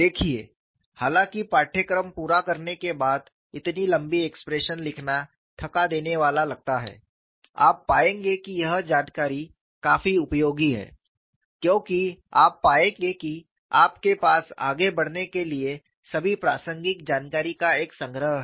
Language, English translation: Hindi, See, though it appears tiring to write such long expressions after you complete the course, you will find that this information is quite useful, because you will find you have a compendium of all the relevant information for you to carry forward